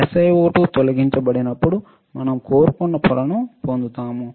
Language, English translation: Telugu, When SiO2 is removed, we get the wafer which is what we wanted, correct